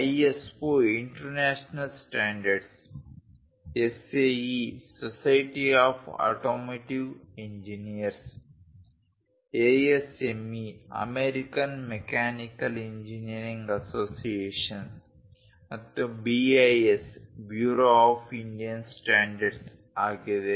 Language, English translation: Kannada, ISO is International Standards, SAE is Society of Automotive Engineers, ASME is American Mechanical engineering associations and BIS is Bureau of Indian Standards